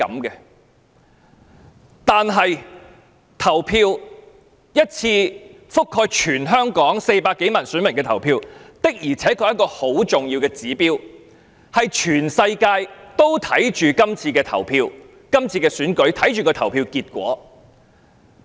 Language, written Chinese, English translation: Cantonese, 但是，一場覆蓋全香港400多萬名選民的投票，的確是一個很重要的指標，全世界都注視着這次區議會選舉，關心投票結果。, But this election involving some 4 million voters in Hong Kong can honestly serve as a very important barometer . The whole world is watching this DC Election very closely and is very concerned about the election result